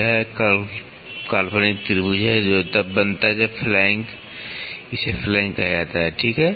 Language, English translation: Hindi, It is the imaginary triangle that is formed when the flank this is called as a flank, ok